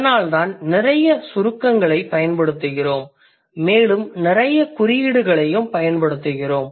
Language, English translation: Tamil, So that is why we use a lot of abbreviations and we also use a lot of symbols